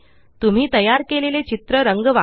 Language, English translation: Marathi, Color this picture you created